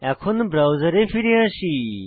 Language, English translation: Bengali, Now, come back to the browser